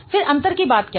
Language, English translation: Hindi, Then what is the point of difference